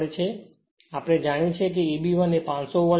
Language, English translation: Gujarati, Now also we know E b 1 is 500 volt